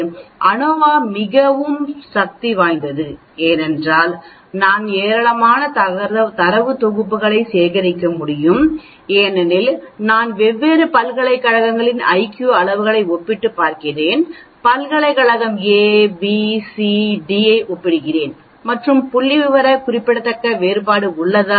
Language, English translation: Tamil, So ANOVA is very, very powerful because we can collect a large number of data sets I am comparing the IQ's of university A, university B, university C, university D and trying to find whether there is a statistical significant difference or not